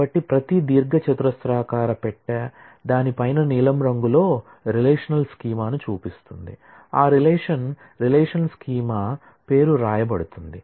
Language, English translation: Telugu, So, every rectangular box shows a relational schema on top of each in blue, is written the name of that relation relational schema